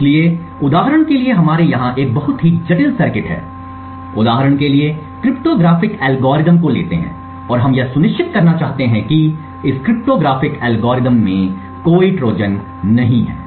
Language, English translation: Hindi, So, for example we have a very complicated circuit over here let us say for example cryptographic algorithm and we want to ensure that this cryptographic algorithm does not have any Trojans